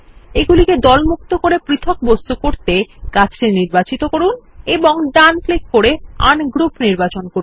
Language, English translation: Bengali, To ungroup them as separate objects, select the tree, right click and select Ungroup